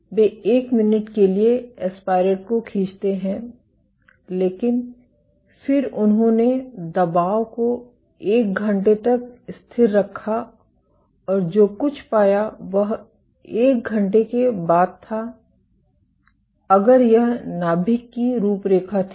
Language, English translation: Hindi, And after aspiration the aspirate So, they aspirate aspirated for one minute, but then they held the pressure constant for one hour, and what they found was after one hour if this was the nucleus outline